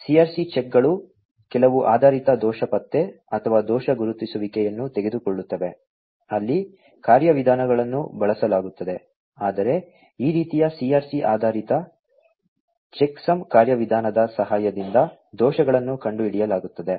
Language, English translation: Kannada, The CRC checks take some based error detection or fault recognition, mechanisms are used where the, but errors are found out with the help of this kind of CRC based checksum mechanism